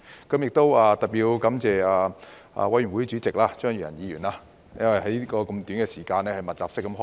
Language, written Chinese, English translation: Cantonese, 我要特別感謝法案委員會主席張宇人議員，因為要在這麼短時間內密集式開會。, Particularly I have to thank the Chairman of the Bills Committee Mr Tommy CHEUNG because meetings had to be held intensively within a short period of time